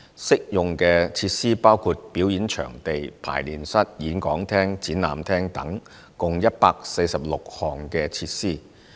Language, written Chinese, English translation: Cantonese, 適用設施包括表演場地、排練室、演講廳、展覽廳等共146項設施。, The concession applies to 146 facilities including performance venues rehearsal rooms lecture theatres and exhibition halls